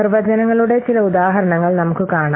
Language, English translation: Malayalam, Then let's see with some examples the definitions we have given